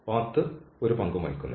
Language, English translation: Malayalam, The path does not play any role